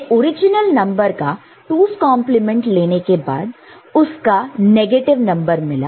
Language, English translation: Hindi, We got negative number of the original number by taking 2’s complement of it